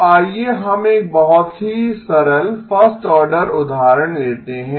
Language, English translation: Hindi, So let us take a very simple, first order example